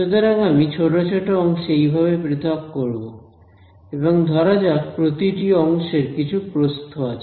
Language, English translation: Bengali, So, what I will do is I will discretize it like this into little segments and let each segment have some width